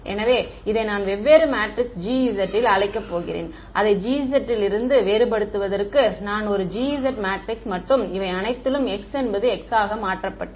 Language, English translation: Tamil, So, I am going to call this a different matrix G S just to distinguish it from the G D I there is a G S matrix and all of these my chi has been replaced by the vector x